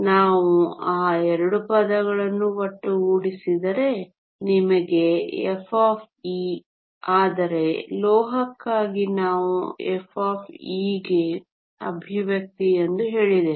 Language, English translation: Kannada, If we put those 2 terms together you have f of e, but 1 over 1 plus a and for a metal we said that a hence the expression for f of e